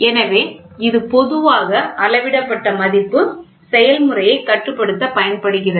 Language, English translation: Tamil, So, this is generally the measured value is used to control the process